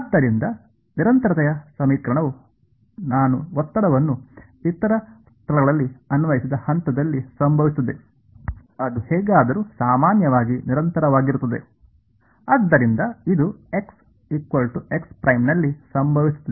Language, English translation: Kannada, So, the equation of continuity will happen at the point at which I have applied the stress right other places anyway it is trivially continuous, so this happens at x is equal to x prime